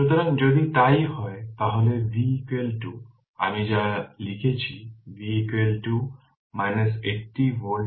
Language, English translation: Bengali, So, if it is so, then V is equal to whatever I wrote, V is equal to we will get minus 80 volt right minus 80 volt